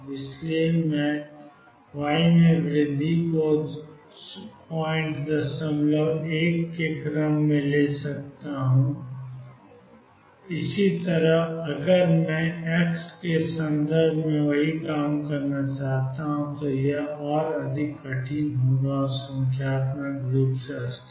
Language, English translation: Hindi, So, I can take the increment in y to be of the order of point 1 and so on where as if I want to do the same thing in terms of x it would be much more difficult and numerically unstable